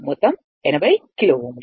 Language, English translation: Telugu, Total is 80 kilo ohm